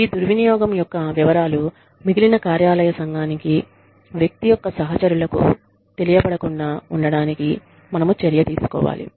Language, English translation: Telugu, Then, we should take every possible measure to ensure, that the details of this misuse, are not communicated, to the rest of the office community, to the person's peers